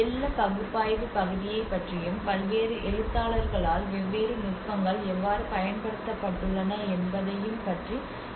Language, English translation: Tamil, I mean till now I talked about the flood analysis part of it and how different techniques have been used by various authors